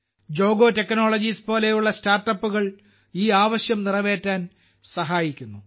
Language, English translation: Malayalam, Startups like Jogo Technologies are helping to meet this demand